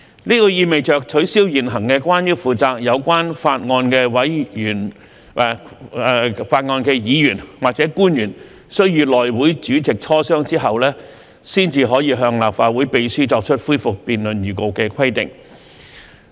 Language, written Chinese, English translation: Cantonese, 這意味着取消現行關於負責有關法案的議員或官員須與內會主席磋商後，才可向立法會秘書作出恢復辯論預告的規定。, In other words it is to remove the existing requirement for the Member or public officer in charge of the relevant bill to consult the HC chairman before giving notice to the Clerk to the Legislative Council for resumption of debate